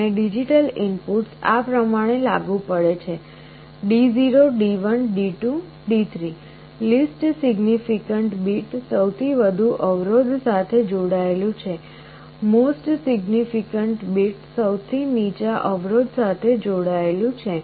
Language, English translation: Gujarati, And the digital inputs are applied like this: D0 D1 D2 D3, least significant bit is connected to the highest resistance; most significant bit is connected to the lowest resistance